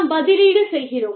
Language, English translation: Tamil, We are substituting